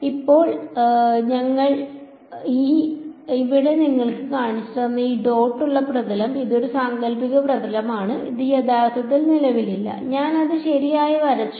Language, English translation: Malayalam, Now, this dotted surface which I have shown you over here it is a hypothetical surface, it does not actually exist I have just drawn it right